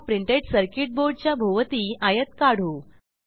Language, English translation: Marathi, Now let us create a rectangle around this Printed circuit Board